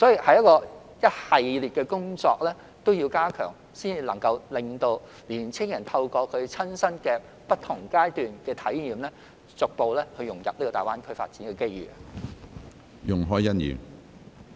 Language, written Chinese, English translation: Cantonese, 這一系列的工作都要加強，才能讓青年人親身透過不同階段的體驗，逐步融入大灣區發展的機遇。, This series of work have to be strengthened to enable young people to integrate into the development opportunities in GBA gradually through different stages of experiences